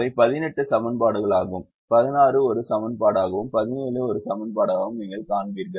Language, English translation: Tamil, you will see, eighteen is a an equations, sixteen is an equation, seventeen is an equation